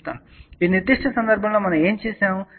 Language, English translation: Telugu, So, in this particular case what we did